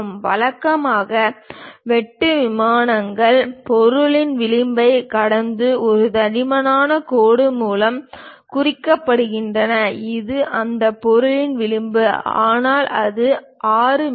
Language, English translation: Tamil, Usually the cut planes represented by a thick dashed line that extend past the edge of the object; this is the edge of that object, but it pass ok over that, 6 mm